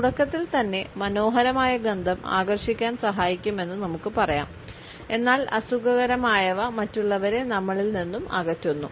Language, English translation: Malayalam, At the outset we can say that pleasant smells serve to attract whereas, unpleasant ones repel others